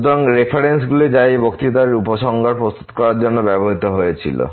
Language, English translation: Bengali, So, these are the references which were used for preparing these lectures and the conclusion